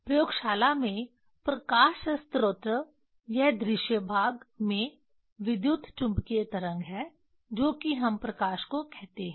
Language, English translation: Hindi, Light source in laboratory it is electromagnetic wave in visible range that is that is what light we tell